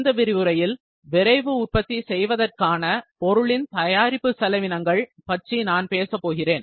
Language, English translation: Tamil, In this lecture, I will discuss about the Product costing for Rapid Manufacturing